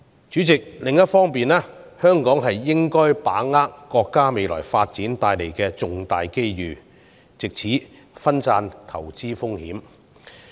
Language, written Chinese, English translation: Cantonese, 主席，另一方面，香港應該把握國家未來發展所帶來的重大機遇，藉此分散投資風險。, President on the other hand Hong Kong should grasp the golden opportunity brought by the development of our country to diversify investment risks